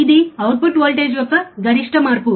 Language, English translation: Telugu, What is change in output voltage